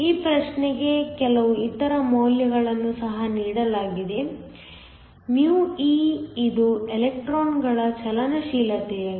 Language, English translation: Kannada, Some other values are also given for this problem, μe which is the mobility of the electrons